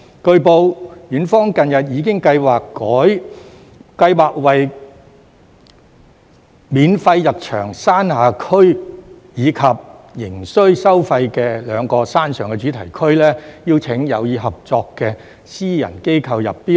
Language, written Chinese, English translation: Cantonese, 據報，園方近日已經計劃為免費入場的山下區，以及仍須收費的兩個山上的主題區，邀請有意合作的私人機構入標。, It has been reported that Ocean Park has recently planned to invite bids from interested private organizations for the lower park which is now admission free and the two themed zones in the upper park where fees are still charged